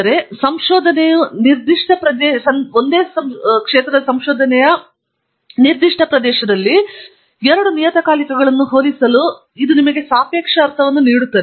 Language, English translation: Kannada, But it gives you a relative sense to compare two journals in a particular area of research